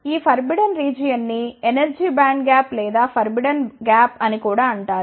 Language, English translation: Telugu, This forbidden region is also known as the energy band gap or forbidden gap